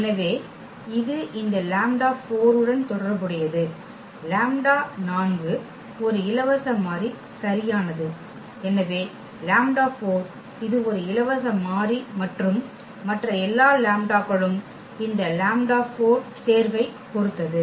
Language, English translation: Tamil, So, this lambda corresponding to this 4 so, lambda four is a free variable right so, lambda 4 is a free variable and all other lambdas will depend on this choice of this lambda 4